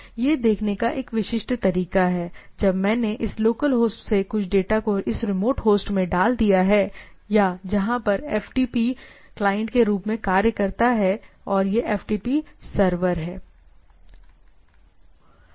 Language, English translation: Hindi, So, this is a typical way of looking at it when I put some data from this local host to this remote host or where it acts as a FTP client and this is a FTP server